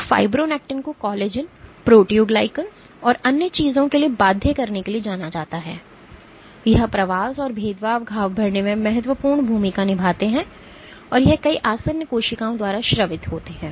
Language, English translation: Hindi, So, fibronectin is known to bind to collagens, proteoglycans and other things, it plays very important role in migration and differentiation wound healing and it is secreted by many adherent cells